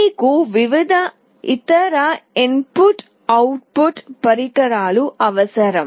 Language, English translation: Telugu, You require various other input output devices